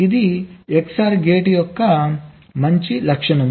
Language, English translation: Telugu, this is a very good feature of xor gates